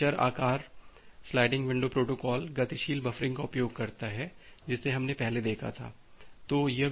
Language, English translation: Hindi, It uses a variable size sliding window protocol, the dynamic buffering that we have looked into earlier